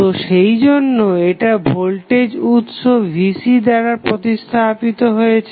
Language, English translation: Bengali, So, that is why it is replaced with the equivalent voltage source Vc